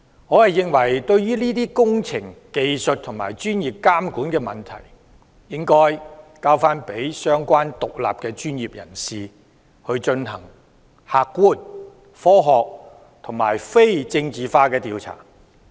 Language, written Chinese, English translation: Cantonese, 我認為這些涉及工程技術及專業監管的問題，應該交由相關的獨立專業人士進行客觀、科學和非政治化的調查。, As these matters involve engineering techniques and professional supervision I believe they should be left to the objective and scientific investigation conducted by independent professionals in a non - politicalized manner